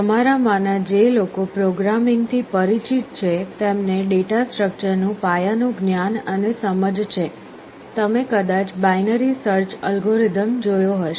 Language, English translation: Gujarati, For those of you who are familiar with programming have some basic knowledge and understanding of data structure, you may have come across the binary search algorithm